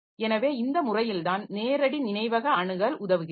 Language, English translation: Tamil, So, this is how this direct memory access is going to help